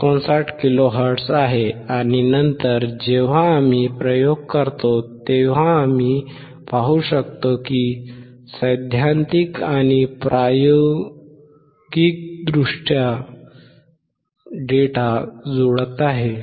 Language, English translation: Marathi, 59 kilo hertz and then when we perform the experiment we could see that theoretically and experimentally the data is matching